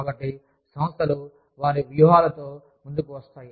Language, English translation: Telugu, So, organizations come up with their strategies